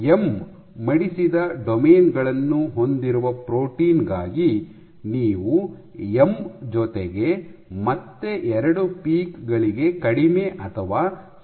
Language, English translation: Kannada, So, you can have for a protein with ‘M’ folded domains, you can have less or equal to M plus 2 peaks